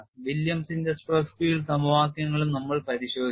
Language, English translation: Malayalam, We also looked at William stress field equations